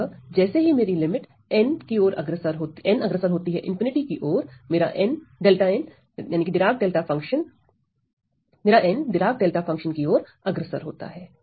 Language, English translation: Hindi, So, as my limit n goes to infinity, these functions delta n goes to my Dirac delta function